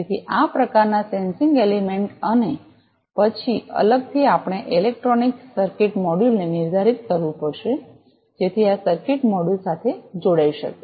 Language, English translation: Gujarati, So, this kind of sensing element, and then separately we will have to define a electronic circuit module, so that this can be connected with the circuit module